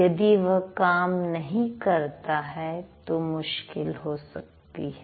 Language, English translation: Hindi, If it doesn't work, then it's going to be a problem